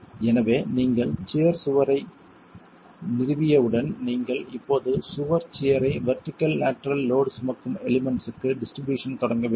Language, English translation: Tamil, So, once you have established wall shear, you have to now start looking at distributing the wall shear to the vertical lateral load carrying elements